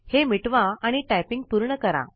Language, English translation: Marathi, Lets delete it and complete the typing